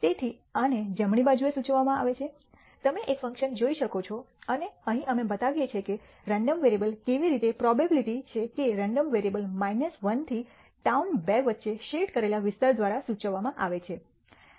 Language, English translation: Gujarati, So, this is denoted on the right hand side, you can see a function and here we show how the random variable the probability that the random variable lies between minus 1 to town 2 is denoted by the shaded area